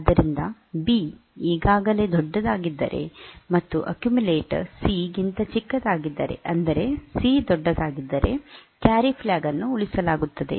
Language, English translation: Kannada, So, if B is if this accumulator is smaller than C that is C is larger then the carry flag will be saved